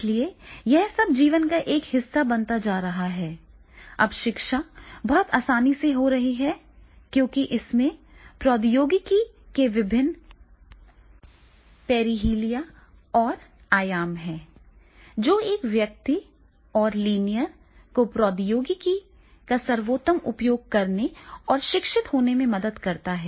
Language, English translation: Hindi, So therefore all this, that is becoming the part of life, now the education it becomes very easier because of these, this is are the different perihelia and the dimensions of the technology, which are helping a person and learner that is the how to make the best use of the technology to learn and get educated